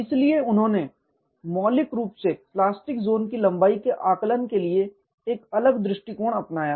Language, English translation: Hindi, So, he fundamentally took a different approach to estimation of plastic zone length